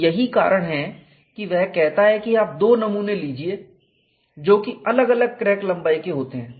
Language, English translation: Hindi, So, that is why he says you take 2 specimens which are of different crack lengths